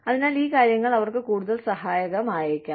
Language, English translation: Malayalam, So, these things might be, more helpful for them